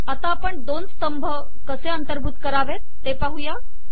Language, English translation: Marathi, Let us now see how to include a two column environment